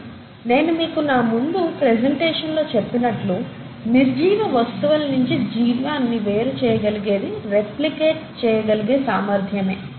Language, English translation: Telugu, But, as I told you in the initial part of my presentation, what sets apart life from the non living things is the ability to replicate